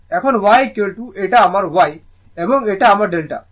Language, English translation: Bengali, Now, y is equal to this is my y and this is my delta